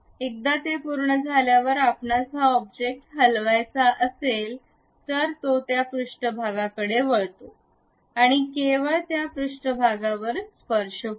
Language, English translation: Marathi, Once it is done, if you want to really move this object, it turns that surface and tangential to that surface only it rotates